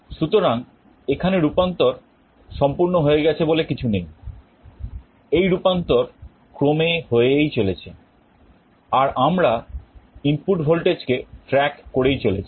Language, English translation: Bengali, So, here there is nothing like conversion is complete we are continuously doing the conversion we are tracking the input voltage